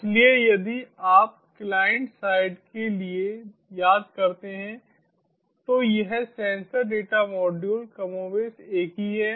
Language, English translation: Hindi, so, if you remember, for the clientside this sensor data module is more or less same